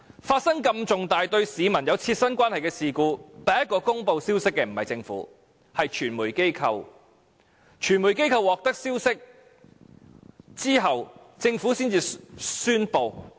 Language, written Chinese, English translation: Cantonese, 發生如此重大、對市民有切身關係的事故，第一個公布消息的不是政府，而是傳媒機構，在傳媒機構獲得消息後，政府才作宣布。, The first party to report such a serious incident an incident that closely related to members of the public is not the Government but the media . The Government made an announcement only after the media received the information